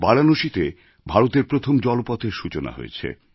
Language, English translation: Bengali, India's first inland waterway was launched in Varanasi